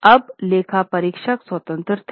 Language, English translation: Hindi, Now the auditor's independence